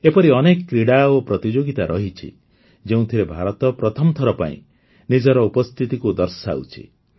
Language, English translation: Odia, There are many such sports and competitions, where today, for the first time, India is making her presence felt